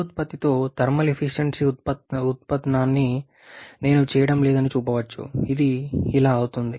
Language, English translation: Telugu, It can be shown that I am not doing the derivation the thermal efficiency with regeneration